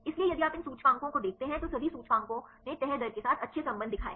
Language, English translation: Hindi, So, if you see these indices all the indices right they showed good relation with the folding rates